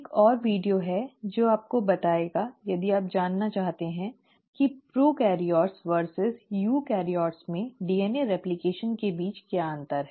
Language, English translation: Hindi, There is another video which also will tell you if you are interested to know, what is the difference between DNA replication in prokaryotes versus eukaryotes